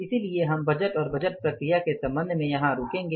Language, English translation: Hindi, So, we will stop here with regard to the budget and budgeting process